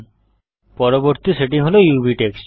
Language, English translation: Bengali, Next setting is UV texture